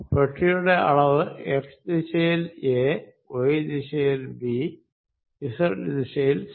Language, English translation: Malayalam, Let the size of the box be a in the x direction, b in the y direction and c in the z direction